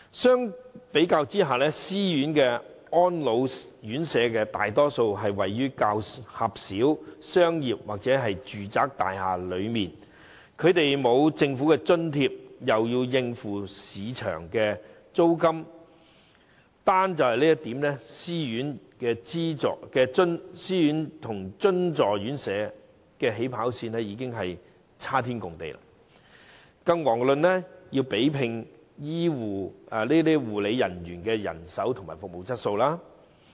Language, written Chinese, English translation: Cantonese, 相對而言，私營院舍大多位於較狹小的商業或住宅大廈，既沒有政府津貼，又要應付市值租金，單從這點來看，私營院舍與津助院舍的"起跑線"已是差天共地，遑論要比拼護理員人手及服務質素。, In comparison most of the self - financing RCHEs are located in relatively crowded commercial buildings or residential premises where they have to cope with market rent in the absence of government subsidy . From this aspect alone self - financing homes are lagging far behind at the starting line let alone the comparison in health care manpower and service quality